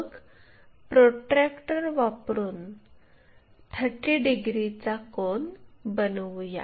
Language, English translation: Marathi, So, use our protractor anywhere making an angle of 30 degrees